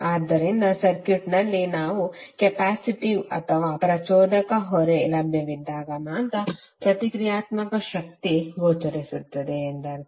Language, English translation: Kannada, So it means that the reactive power is only visible when we have either capacitive or inductive load available in the circuit